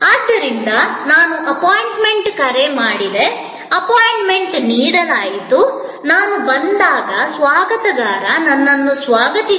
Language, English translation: Kannada, So, I called for an appointment, an appointment was given, when I arrived the receptionist greeted me